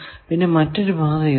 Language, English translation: Malayalam, Is there any other path